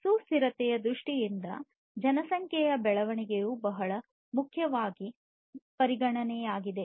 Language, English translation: Kannada, So, population growth is a very important consideration in terms of sustainability